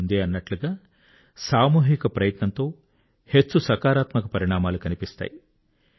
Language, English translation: Telugu, As I've said, a collective effort begets massive positive results